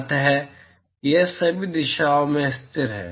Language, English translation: Hindi, So, it is constant in all directions